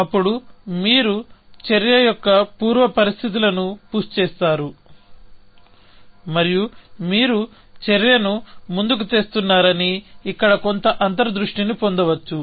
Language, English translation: Telugu, Then, you push the pre conditions of the action, and you can get some intuition here, that you are pushing an action